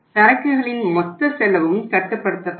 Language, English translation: Tamil, Total cost of inventory will also be controlled